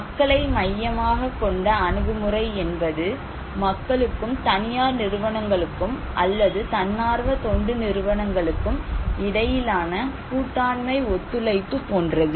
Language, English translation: Tamil, People's centric approach is more like a collaboration of partnership between people and the private agencies or NGO’s